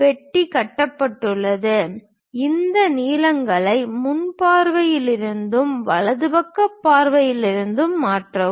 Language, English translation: Tamil, Once box is constructed, we can transfer these lengths from the front view and also from the right side view